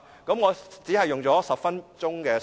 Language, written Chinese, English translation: Cantonese, 我只用了10分鐘發言時間。, I have only used 10 minutes in this speech